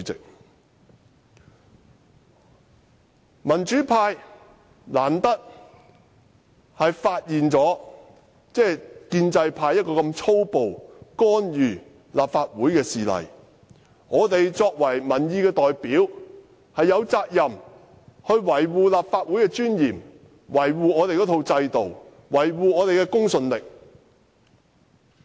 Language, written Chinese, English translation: Cantonese, 難得民主派發現建制派如此粗暴干預立法會的事例，作為民意代表，我們有責任維護立法會的尊嚴、制度和公信力。, As democrats seldom do we have the chance to reveal such a callous attempt made by the pro - establishment camp to interfere with the Legislative Council . As representatives of public opinion we are duty - bound to uphold the dignity the systems and the credibility of the Legislative Council